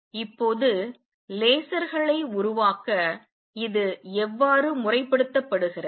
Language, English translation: Tamil, Now, how is this used into formalize to make lasers